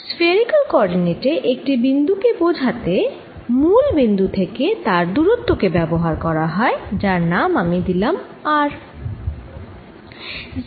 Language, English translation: Bengali, in a spherical coordinate system a point is specified by its distance from the origin, which i'll call r